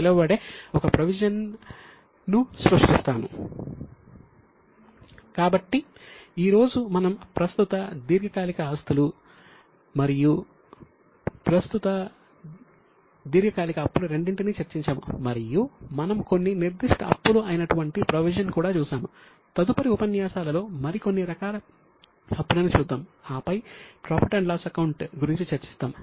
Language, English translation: Telugu, So, today we have discussed both current non current assets, then current non current liabilities, and we have come up to some specific liability which is called as provision